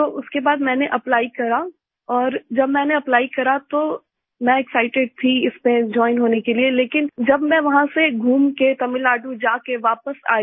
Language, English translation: Hindi, So after that I applied and when I applied, I was excited to join it, but after traveling from there to Tamil Nadu, and back …